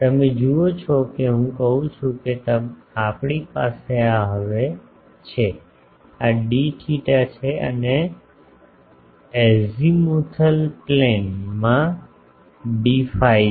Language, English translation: Gujarati, You see that I am saying that we have these now, this is d theta and in the azimuthal plane there will be d phi